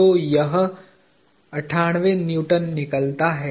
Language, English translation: Hindi, So, this comes out to be 98 Newtons